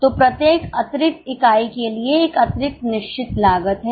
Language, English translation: Hindi, So, for every extra unit, there is an extra fixed cost